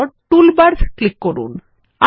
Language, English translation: Bengali, Under Tools, click on Options